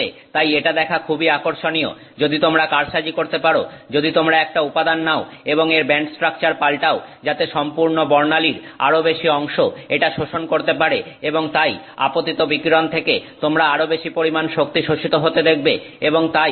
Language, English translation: Bengali, Therefore it is interesting to see if you can manipulate, if you can take a material and change its band structure so that it absorbs more and more of this complete spectrum and therefore you can get more and more energy absorbed from the incoming radiation